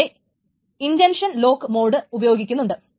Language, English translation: Malayalam, So this is why the intention lock mode is being used